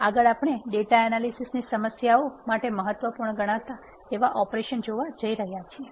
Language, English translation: Gujarati, Next we move to the important class of operations that are needed for data analysis problems